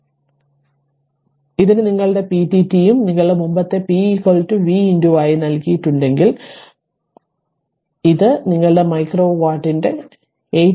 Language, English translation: Malayalam, So, if it is given p dt your p dt and p is equal to v into i right your earlier, we have given that p is equal to v into i, so it is 8 t your micro watt